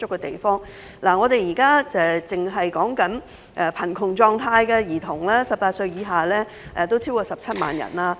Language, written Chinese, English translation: Cantonese, 現時，單是18歲以下的貧窮兒童已有超過17萬人。, Currently the number of children in poverty under 18 years old alone has exceeded 170 000